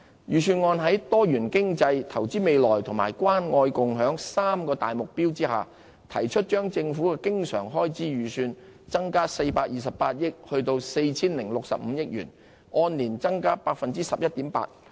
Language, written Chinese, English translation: Cantonese, 預算案在多元經濟、投資未來及關愛共享三大目標下，提出將政府的經常開支預算增加428億元至 4,065 億元，按年增加 11.8%。, In accordance with the three main objectives of diversified economy investing for the future and caring and sharing the Budget proposed an increase of 42.8 billion or 11.8 % year on year in recurrent expenditure of the Government bringing the total to 406.5 billion